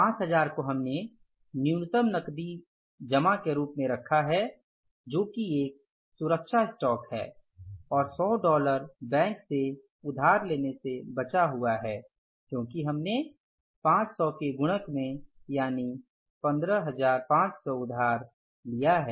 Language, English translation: Hindi, 5,000 we have kept as the minimum cash balance desired that is a safety stock and 100 is left from the borrowing from the bank because we borrowed in the multiple of fives that is 15,500 actually we required 15,400 so 100 is left from this borrowing